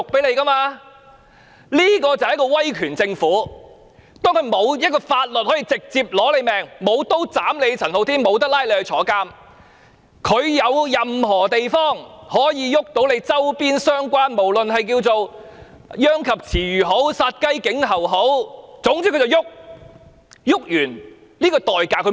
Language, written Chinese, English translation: Cantonese, 這就是一個威權政府，當它無法運用任何法律直接對付陳浩天，沒法拘捕、監禁他，便運用任何手段教訓他周邊相關的人，可說是殃及池魚或殺雞儆猴，而不考慮教訓完後的代價。, This is an authoritative government . As the Government cannot invoke any law to directly deal with Andy CHAN to arrest him or to imprison him it then turned to the people around him and taught them a lesson by all means . This is tantamount to punishing the innocent or giving a warning to other people disregarding the cost to be paid for the lesson